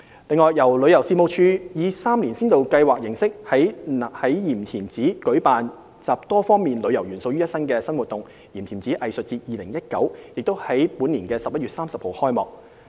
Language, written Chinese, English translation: Cantonese, 此外，由旅遊事務署以3年先導計劃形式，於鹽田梓舉辦集多方面旅遊元素於一身的新活動"鹽田梓藝術節 2019"， 已於本年11月30日開幕。, In addition the Tourism Commission is organizing a three - year pilot scheme integrating various tourism elements and the first event namely the Yim Tim Tsai Arts Festival 2019 has been launched on November 30 this year